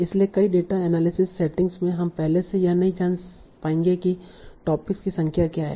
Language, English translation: Hindi, So in many data analysis settings, we will not know what is the number of topics a priori